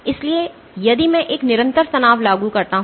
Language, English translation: Hindi, So, if I apply a constant stress, if I apply a constant stress